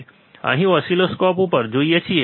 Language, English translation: Gujarati, What we see here on the oscilloscope